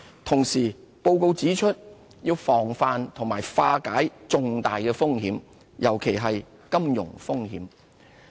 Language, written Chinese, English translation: Cantonese, 同時，報告指出要防範和化解重大風險，尤其是金融風險。, On the other hand the report pointed out the importance of forestalling and resolving major risks especially the financial risks